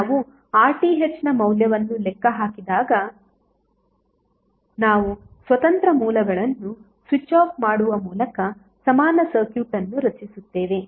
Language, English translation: Kannada, So when we calculate the value of RTh we will create the equivalent circuit by switching off the independent sources